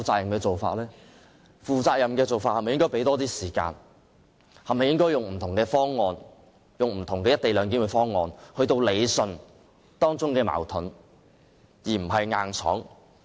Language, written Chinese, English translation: Cantonese, 如果採取負責任的做法，是否應該給予更多時間，用不同的"一地兩檢"方案理順當中的矛盾而不是硬闖？, Will it be more responsible to give Members more time to put forward different co - location proposals to resolve the conflicts instead of forcing through the Bill?